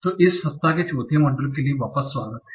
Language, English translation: Hindi, So, welcome back for the fourth module of this week